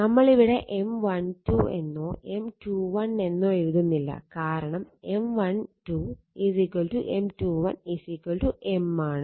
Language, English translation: Malayalam, We are not writing M 1 2 or M 2 1 M 1 2 is equal M 2 1 is equal to M